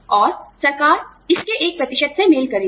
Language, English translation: Hindi, And, the government, matches a percentage of it